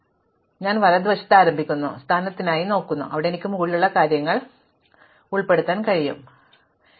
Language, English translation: Malayalam, Now, I start on right hand side and I look for the position, where I can include things in the upper thing, but the very first thing I see 13 should not be there